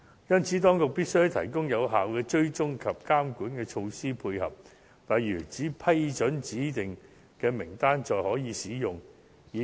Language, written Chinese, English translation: Cantonese, 因此，當局必須提供有效的追蹤及監管措施配合，例如在光顧指定的名單上的服務才可以使用醫療券。, Therefore the authorities must provide effective tracking and regulation measures to accompany the proposed initiative such as restricting the use of these vouchers to services specified on a list